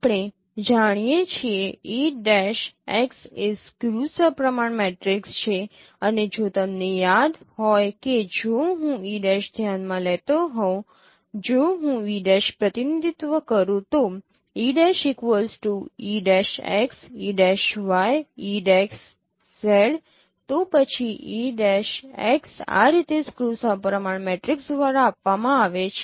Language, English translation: Gujarati, We know E prime cross is a skew symmetric matrix and if you remember that if I consider E prime if I represent E prime as say E X prime E, y prime E Z prime then E prime cross is given by a skew symmetric matrix in this way